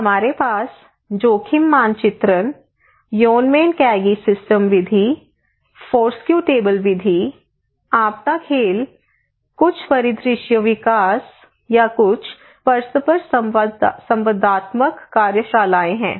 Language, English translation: Hindi, We have risk mapping, we have Yonnmenkaigi system method or Foursquare table method or maybe disaster games or maybe some scenario development or some interactive workshops